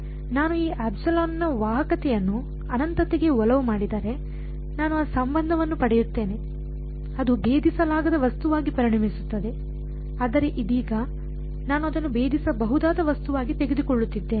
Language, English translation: Kannada, If I make the conductivity part of this epsilon tending to infinity I will get that relation that will become a impenetrable object but right now, I am taking it to be a penetrable object